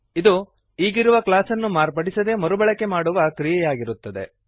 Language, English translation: Kannada, It is the process of reusing the existing class without modifying them